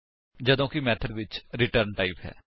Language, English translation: Punjabi, whereas method has a return type